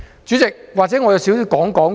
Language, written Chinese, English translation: Cantonese, 主席，或許我簡單說說。, Chairman I will speak briefly